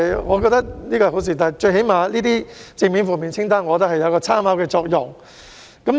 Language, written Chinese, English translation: Cantonese, 我認為這是好事，正面及負面清單至少具有參考作用。, I think it is a good idea to draw up the positive and negative lists for they can at least be used as reference purpose